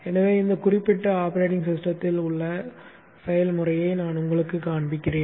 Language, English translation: Tamil, So I will show you by taking a walk through the process in this particular operating system